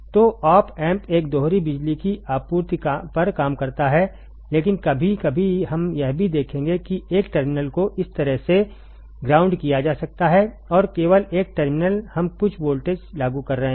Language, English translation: Hindi, So, op amp works, op amp works on a dual power supply, but sometimes we will also see that one terminal can be grounded like this; and only one terminal we are applying some voltage